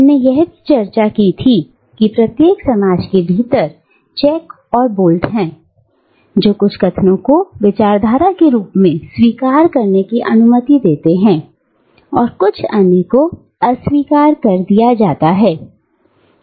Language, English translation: Hindi, And, we had also discussed, how within each society, there are checks and filters which allow certain utterances to be accepted as discourse and certain others to be rejected